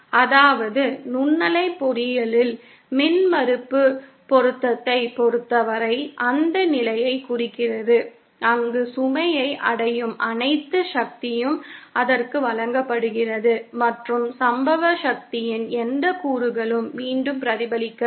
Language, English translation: Tamil, That is as far as impedance matching in microwave engineering is concerned refers to that condition where all the power that is reaching the load is delivered to it and no component of the incident power is reflected back